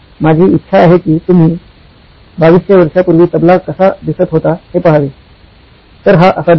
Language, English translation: Marathi, I would like you to look at what a “Tabla” looks like 2200 years ago and here it is